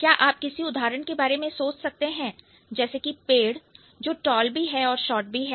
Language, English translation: Hindi, Is there any way by which you can think about an example where a particular tree can be tall as well as short